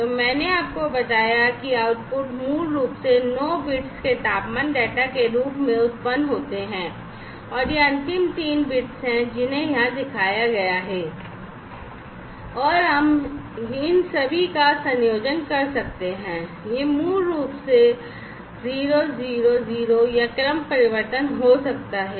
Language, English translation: Hindi, So, I told you that the outputs are basically generated as 9 bits of temperature data and these are the last three bits, that are shown over here, and we can have a combination of all of these like, you know, it could be 000 or a permutation basically permutation 011 over here it is 011